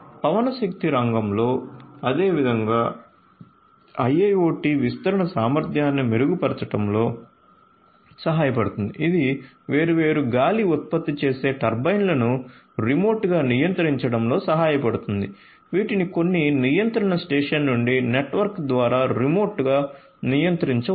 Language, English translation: Telugu, In the wind energy sector likewise IIoT deployment can help in improving the efficiency this can also help in remotely controlling the different you know the wind generating turbines these could be controlled remotely over a network from some control station